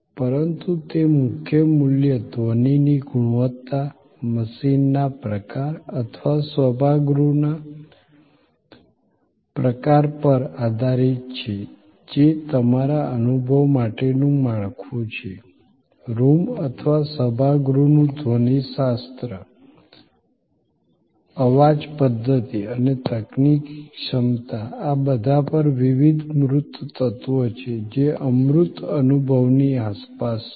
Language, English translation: Gujarati, But, that core value depends on the quality of sound, the kind of machine or the kind of auditorium, which is your framework for the experience, the acoustics of the room or the auditorium, the sound system and the technical capability, all of these are different tangible elements, which are around the intangible experience